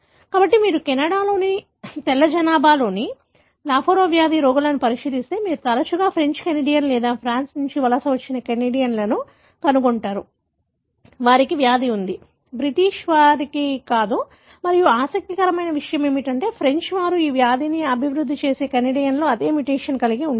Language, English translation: Telugu, So, if you look into the lafora disease patients in the white population of Canada, you would often find that the French Canadian or the Canadians who migrated from France, they have the disease, not the British and what is interesting is that all the French Canadians who develop this disease, have the same mutation